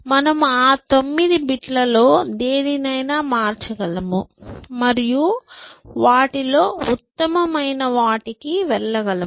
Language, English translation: Telugu, I can change any one of those 9 bits and move to the best amongst them